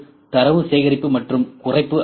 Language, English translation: Tamil, Number 3 is the data collection and reduction system